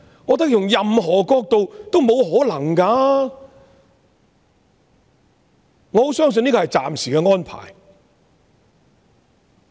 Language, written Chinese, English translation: Cantonese, 我覺得用任何角度來想也是不可能的，我很相信這是暫時的安排。, I think this is just impossible from whatever perspective and I very much believe this arrangement is temporary